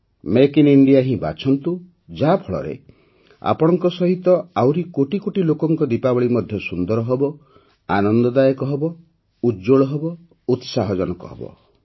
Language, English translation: Odia, Make India selfreliant, keep choosing 'Make in India', so that the Diwali of crores of countrymen along with you becomes wonderful, lively, radiant and interesting